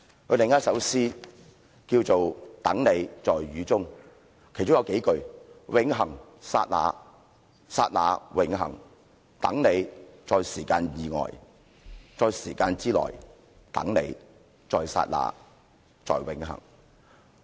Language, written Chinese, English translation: Cantonese, 他另一首詩名為"等你，在雨中"，其中有數句："永恆，剎那，剎那，永恆等你，在時間之外在時間之內，等你，在剎那，在永恆。, It is another poem he wrote and is entitled Waiting for you in the rain . Several lines of the poem read Eternity seems transient; transience seems eternal . Ill wait for you beyond and within our time